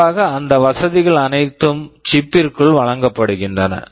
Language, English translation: Tamil, Typically all those facilities are provided inside the chip